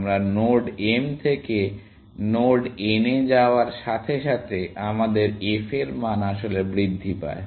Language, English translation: Bengali, As we move from node m to node n, our f value actually increases, essentially